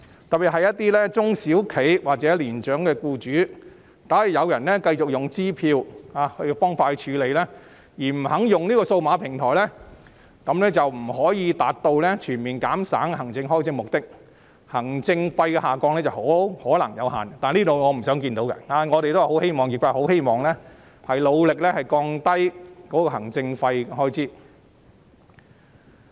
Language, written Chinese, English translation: Cantonese, 特別是一些中小企或年長僱主，假如有人繼續用支票方式處理而不肯轉用數碼平台，便不能達到全面減省行政開支的目的，行政費用下降的可能性有限，這是我們不想看到的，業界已很努力希望降低行政費用開支。, In case some small and medium enterprises or elderly employers continue to use cheques for MPF transactions and refuse to switch to the electronic platform the administration expenses cannot be reduced across - the - board . Consequently the administration fees are unlikely to go down . The trade does not want to see this from happening as our trade members have worked hard to lower their administration expenses